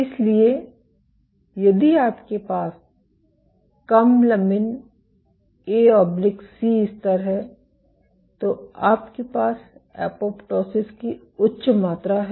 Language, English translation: Hindi, So, if you have low lamin A/C levels you have higher amount of apoptosis